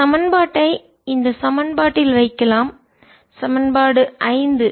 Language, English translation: Tamil, you can put this equation, this equation, equation five